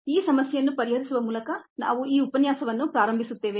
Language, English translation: Kannada, we will start this lecture by solving this problem first